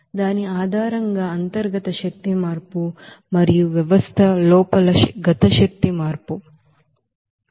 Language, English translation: Telugu, Based on that you know, internal energy change and also kinetic energy change inside the system